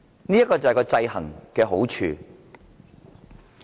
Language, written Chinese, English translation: Cantonese, 這便是制衡的好處。, This is the advantage of checks and balances